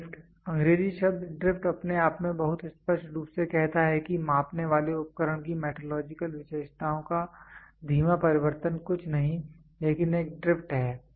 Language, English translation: Hindi, Drift: the English word drift itself very clearly says a slow change of metrological characteristics of a measuring instruments nothing, but a drift